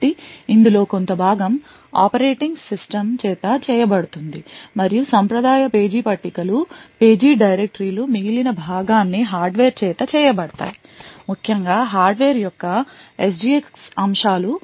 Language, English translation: Telugu, So, part of this is done by the operating system and the traditional page tables and page directories which are present the remaining part is done by the hardware especially the SGX aspects of the hardware